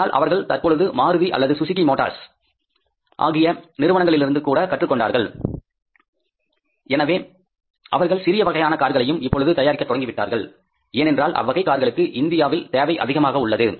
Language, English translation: Tamil, But now they have learned also from the Maruti or maybe the Suzuki motors that they also have to add up the small cars because there is a demand for those cars in India